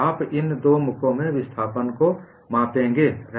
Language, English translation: Hindi, You would measure the displacement in these two faces